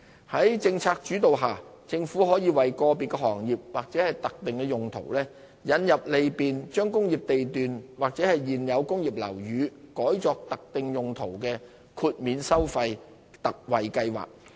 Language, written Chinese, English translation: Cantonese, 在政策主導下，政府可為個別行業或特定用途引入利便將工業地段或現有工業樓宇改作特定用途的豁免收費/特惠計劃。, Based on policy considerations the Government may introduce a fee exemptionconcessionary scheme in respect of an individual trade or a specified use so as to facilitate the conversion of an industrial lot or an existing industrial building to specified uses